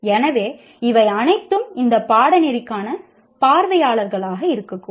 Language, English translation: Tamil, So, all these are potentially the audience for this particular course